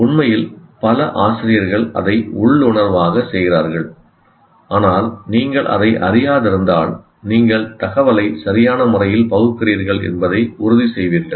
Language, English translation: Tamil, Actually, many teachers do that intuitively, but if you are aware of it, you will definitely make sure that you change the information appropriately